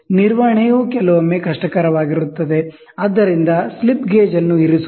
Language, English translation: Kannada, Handling can be difficult sometimes, so is positioning of a slip gauge